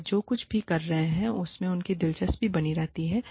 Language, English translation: Hindi, It keeps their interest alive, in whatever, they are doing